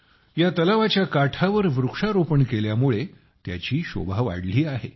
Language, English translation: Marathi, The tree plantation on the shoreline of the lake is enhancing its beauty